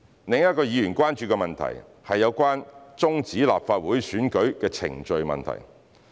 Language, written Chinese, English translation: Cantonese, 另一個議員關注的問題，是有關終止立法會選舉的程序問題。, Another issue of concern to Members is about the termination of the proceedings for the Legislative Council election